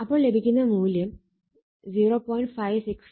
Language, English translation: Malayalam, So, it will be 0